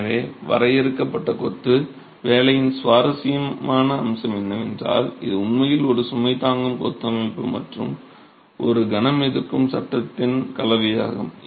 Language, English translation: Tamil, So, the interesting aspect of confined masonry is that it is really a combination of a load bearing masonry system and a moment resisting frame